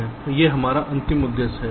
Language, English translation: Hindi, that is our, that is our final objective